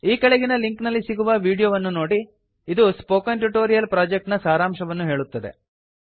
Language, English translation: Kannada, Watch the video available at the following link it summarises the Spoken Tutorial project